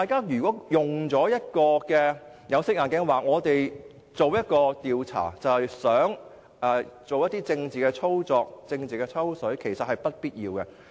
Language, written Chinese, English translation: Cantonese, 如果大家戴有色眼鏡，認為我們進行調查其實想作出政治操作、政治"抽水"的話，其實是不必要的。, It is honestly unnecessary for Members to wear tainted spectacles and perceive our proposal of conducting an inquiry as a means of achieving political machination and taking political advantage